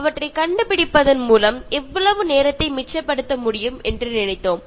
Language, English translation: Tamil, We thought that by inventing these things we will be able to save so much time